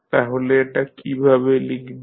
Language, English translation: Bengali, So, what we will write